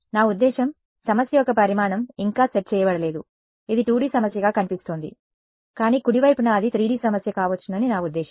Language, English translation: Telugu, I mean the dimensionality of the problem has not yet been set right now this looks like a 2D problem, but at right I mean it could be a 3D problem